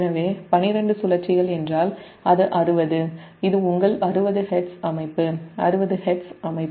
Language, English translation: Tamil, it your sixty hertz system, it is sixty hertz system